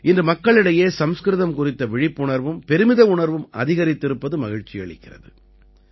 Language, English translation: Tamil, I am happy that today awareness and pride in Sanskrit has increased among people